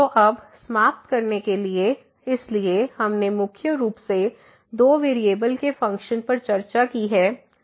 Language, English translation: Hindi, So, now to conclude, so we have discussed the functions of two variables mainly Z is equal to